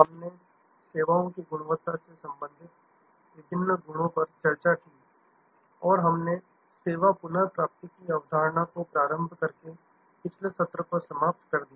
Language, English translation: Hindi, We discussed the different constructs relating to services quality and we ended the last session by introducing the concept of service recovery